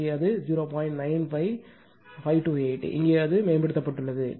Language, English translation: Tamil, 95528; here also it is improved